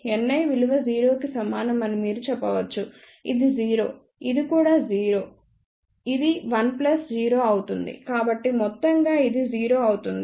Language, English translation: Telugu, You can say that N i is equal to 0, this is 0, this is also 0 this will be 1 plus 0, so overall this will become 0